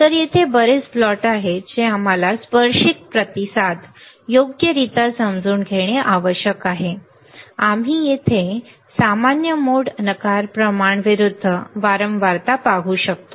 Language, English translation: Marathi, So, lot of plots are there that we need to understand tangent response right, we can we can see here common mode rejection ratio versus frequency